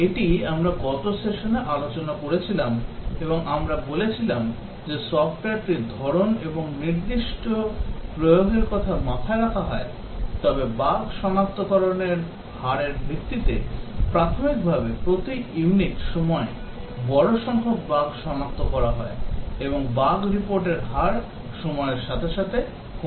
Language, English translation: Bengali, This we had discussed in the last session and we said that really depends on the type of the software and the specific application that is in mind, but then either based on the rate of bug detection initially large number of bugs are detected per unit time and the rate of bug report falls with time